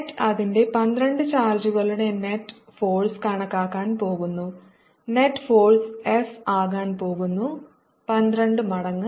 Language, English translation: Malayalam, and i am calculating force due to twelve charges and therefore the net force is going to be f